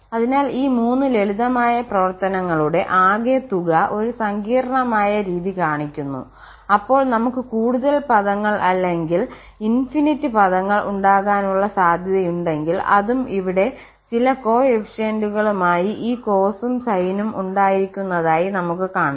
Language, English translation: Malayalam, So, this sum of these three just three simple functions represents this complicated behavior then we can imagine that we have if we have possibility of having many more terms or infinitely many terms that too with some coefficients here sitting with this cos and sine